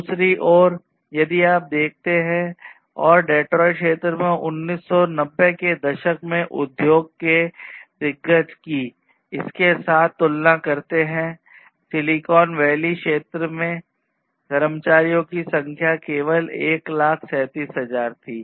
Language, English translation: Hindi, And on the other hand if you look and compare with these industry giants in the Detroit area in 1990s, in the Silicon Valley area the number of employees was only 1,37,000